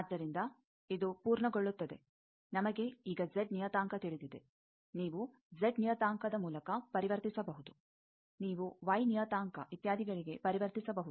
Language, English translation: Kannada, So, this completes that we know now Z parameter you can convert through Z parameter you can convert to y parameter etcetera